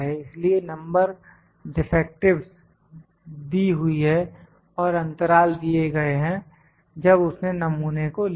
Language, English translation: Hindi, So, number defectives are given and the period is given when he took the sample